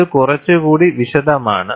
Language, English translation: Malayalam, This is a little more elaborate